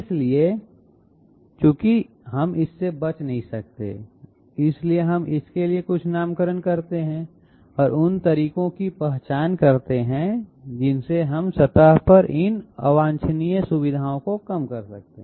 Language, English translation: Hindi, So since we cannot avoid it, we put some nomenclature for that and identify the ways in which we can reduce these undesirable features on the surface